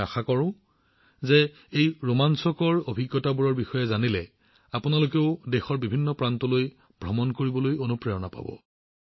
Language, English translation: Assamese, I hope that after coming to know of these exciting experiences, you too will definitely be inspired to travel to different parts of the country